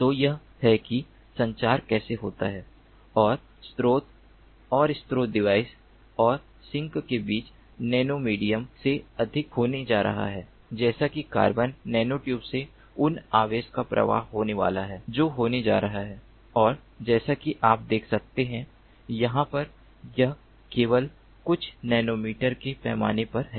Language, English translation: Hindi, so this is how the communication takes place and between the source and source device and the sink there is going to be over the nano medium, such as carbon nanotubes, there is going to be flow of charges that is going to take place and, as you can see over here, this is in the scale of few nanometers only